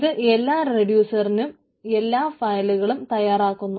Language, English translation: Malayalam, it, basically, for every reducer it produces a file